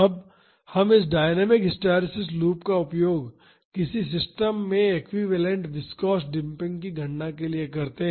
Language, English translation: Hindi, Now, let us use this dynamic hysteresis loop to calculate the equivalent viscous damping in a system